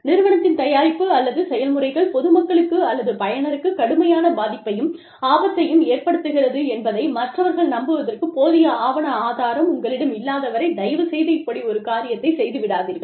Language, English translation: Tamil, Please do not do this, unless, you have documentary evidence, that would convince a reasonable impartial observer, that the company's product or practice, poses a serious and likely danger, to the public or user